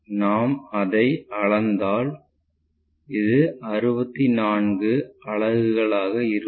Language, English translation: Tamil, If we measure that, it will be 61, 2, 3, 4, 64 units